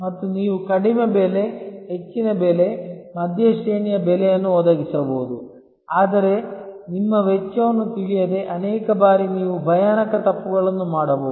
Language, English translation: Kannada, And you can provide low price, high price, mid range price, but without knowing your costs, many times you can make horrible mistakes